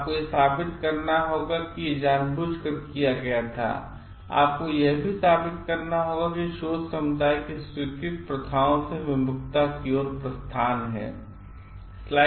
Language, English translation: Hindi, You have to prove like it was done intentionally and you have to also prove like it is a significant departure from the accepted practices of the research community